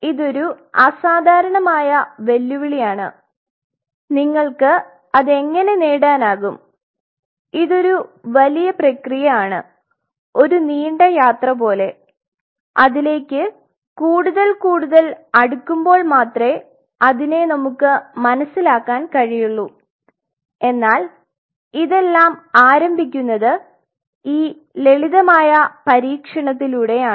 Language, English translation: Malayalam, It is something exceptionally challenging and how you can achieve it, it will be a long drawn process it will be a long whole journey of ours to understand even going even close to it, but it all start with that simple modesty of doing these experiments right